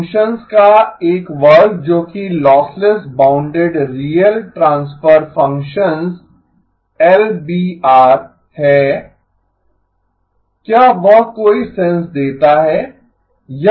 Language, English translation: Hindi, A class of functions that are lossless bounded real transfer functions, LBR, does that make sense